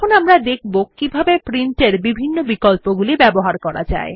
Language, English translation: Bengali, We will now see how to access the various options of Print